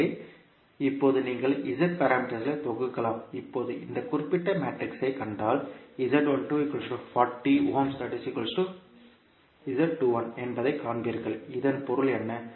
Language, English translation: Tamil, Now, if you see this particular matrix, you will see that Z12 is equal to Z21, what does it mean